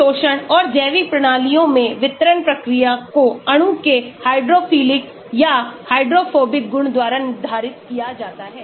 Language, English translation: Hindi, Absorption and distribution process in biological systems are determined by hydrophilic or hydrophobic properties of molecules